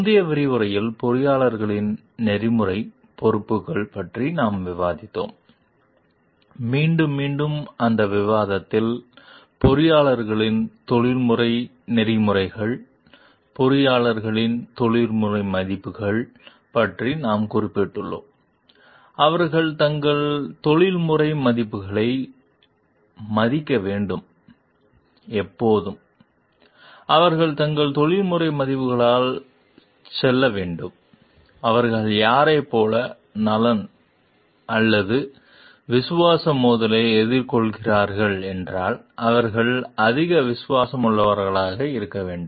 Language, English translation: Tamil, In the previous module, we have discussed about the Ethical Responsibilities of the Engineers and there in that discussion with time and again , we have mentioned about the professional ethics of the engineers, professional values of the engineers and they should be respecting their professional values when and they should move by their professional values, if they are facing any conflict of interest or conflict of loyalty towards like whom they are more loyal should be more loyal to the organization, if it is doing something unethical and the loyalty to the stakeholders at large